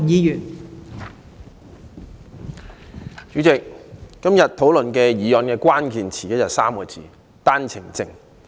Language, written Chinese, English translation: Cantonese, 代理主席，今天議案辯論的關鍵詞是："單程證 "3 個字。, Deputy President the keyword of the motion debate today is One - way Permit OWP